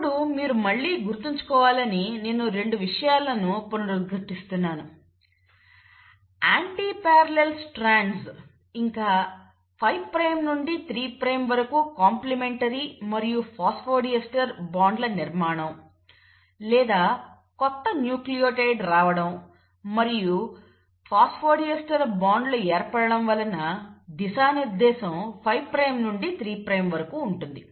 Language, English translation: Telugu, Now, I will, want you to remember again I am reiterating 2 things, antiparallel strands, complementarity and formation of phosphodiester bonds from 5 prime to 3 prime, or the incoming of the newer nucleotide and formation of a phosphodiester bonds and hence are directionality in 5 prime to 3 prime